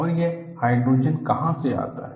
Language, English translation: Hindi, And where do this hydrogen come from